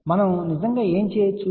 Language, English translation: Telugu, So, what we can do actually